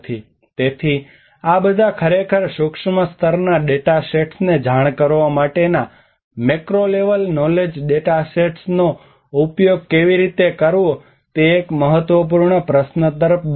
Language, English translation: Gujarati, So there is all this actually leads towards an important question of how to use this macro level knowledge data sets to inform the micro level data sets